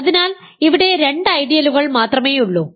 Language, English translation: Malayalam, So, there are only two ideals here